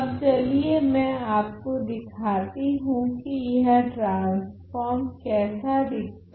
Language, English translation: Hindi, So, this is the type of what the transform looks like